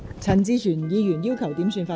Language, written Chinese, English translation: Cantonese, 陳志全議員要求點算法定人數。, Mr CHAN Chi - chuen has requested a headcount